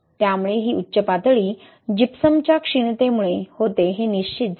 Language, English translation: Marathi, So it was confirmed that this peak was due to the depletion of Gypsum